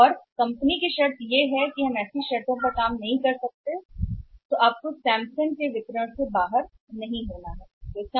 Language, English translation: Hindi, And company’s condition is that we cannot perform on such conditions then you need not to be out of the distributor of the Samsung